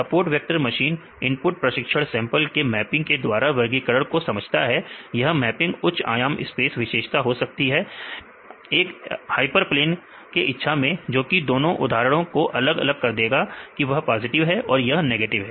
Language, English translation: Hindi, The SVM this learns the classifier by mapping the input training sample in the possibly high dimensional feature space and seeking a hyper plane which will separate the two examples whether it is a positive or negative